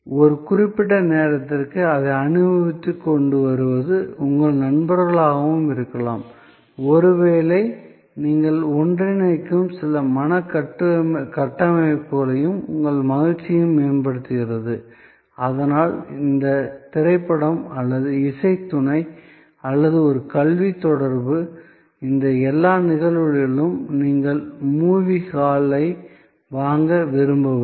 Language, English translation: Tamil, For a certain time, enjoying it and you are bringing also may be your friends, which enhances your enjoyment, maybe certain mental framework that you are bringing together and therefore, the movie or a music consort or an educational interaction in all these cases therefore, you are not looking for buying the movie hall